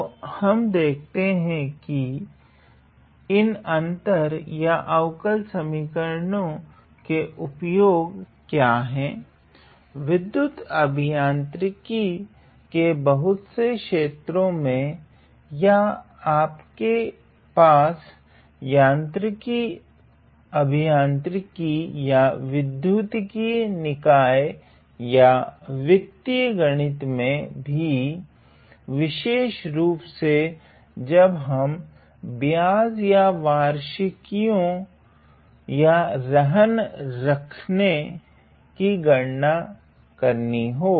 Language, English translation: Hindi, So, we will see that the application of these difference or differential equations, are white in many fold in areas of electrical engineering or you have in areas of mechanical engineering or in electronic systems or even in financial maths, specially when we have to calculate the interest or annuities or mortgages